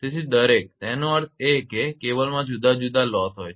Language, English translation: Gujarati, So, each; that means, in cable different loses are there